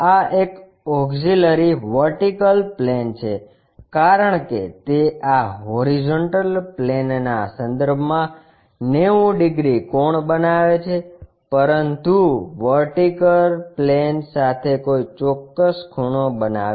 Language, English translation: Gujarati, This is a auxiliary vertical plane because it is making 90 degrees angle with respect to this horizontal plane, but making an inclination angle with the vertical plane